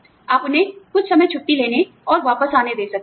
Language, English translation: Hindi, You could let them take, some time off and come back